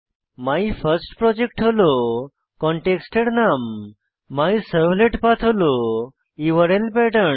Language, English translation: Bengali, Here MyFirstProject is the context name and MyServletPath is the URL Pattern that we had set